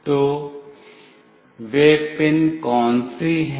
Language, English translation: Hindi, So, what are those pins